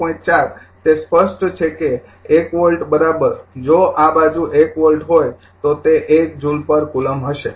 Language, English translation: Gujarati, 4 it is evident that 1 volt is equal to if it is this side is 1 volt it will be 1 joule per coulomb